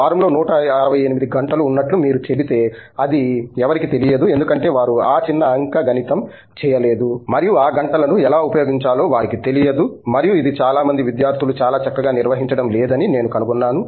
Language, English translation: Telugu, If the moment you say like there is 168 hours in a week because somebody they don’t even know that because they have not done that little arithmetic, right and they don’t know that, how to use those hours and this is something that I find most students are not really cut out managing very well